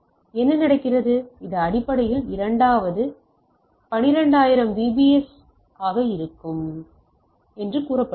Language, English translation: Tamil, So, what it goes on, it basically say 2 into this it should be 12000 bps